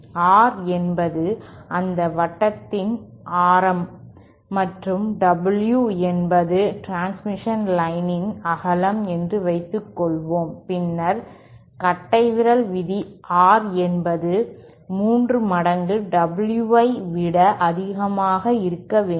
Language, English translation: Tamil, And suppose R is that radius of that circle and W is the width of the transmission line, then the rule of thumb is R should be greater than three times W